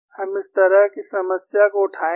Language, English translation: Hindi, We would take up a problem like this